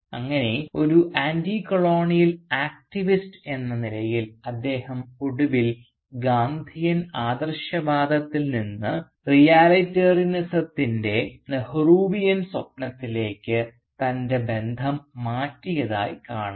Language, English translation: Malayalam, And thus as an Anticolonial activist we see that he finally changes his affiliation from Gandhian idealism to the Nehruvian dream of Realitarianism